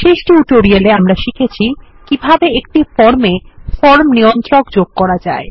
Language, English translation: Bengali, In the last tutorial, we learnt how to add form controls to a form